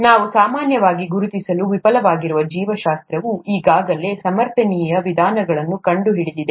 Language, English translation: Kannada, What we normally fail to recognize, is that biology has already found sustainable methods